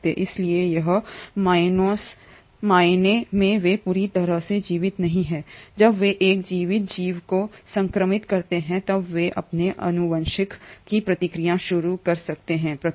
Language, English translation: Hindi, So in a sense they are not completely living but when they infect a living organism, they then can initiate the process of their genetic replication